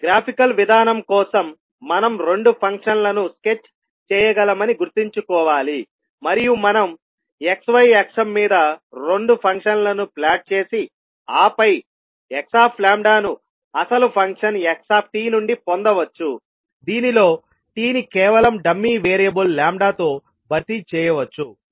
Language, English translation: Telugu, So for the graphical approach we have to keep in mind that we can sketch both of the functions and means we can plot both of the function on x y axis and then get the x lambda from the original function xt, this involves merely replacing t with a dummy variable lambda